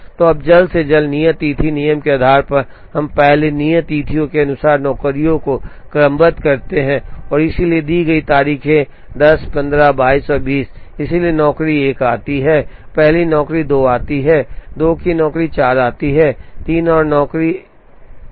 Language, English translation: Hindi, So, now, based on earliest due date rule, we first sort the jobs according to the due dates, so the dues dates given are 10 15 22 and 20, so job 1 comes first job 2 comes 2nd job 4 comes, 3rd and job 3 comes 4th